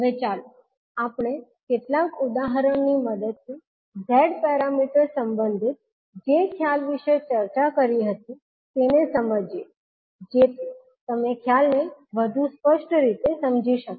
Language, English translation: Gujarati, Now, let us understand the concept which we discussed related to Z parameters with the help of few examples so that you can understand the concept more clearly